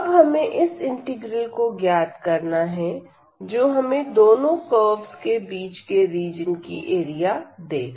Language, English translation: Hindi, So, we need to compute simply this integral now, which will give us the area of the region enclosed by these two curves